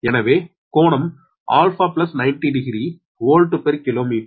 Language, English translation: Tamil, so angle, alpha plus ninety degree volt per kilometer